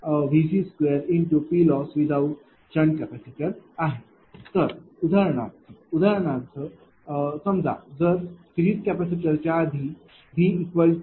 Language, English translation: Marathi, Suppose if before series capacitor if it is V is equal to say 0